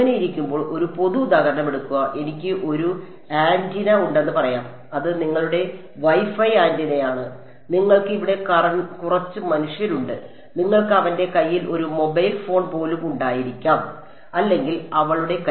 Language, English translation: Malayalam, So, when we are so, take a general example let us say that I have an antenna let us say that is your WiFi antenna over here and you have some human being over here, you could even have a mobile phone in his hand his or her hand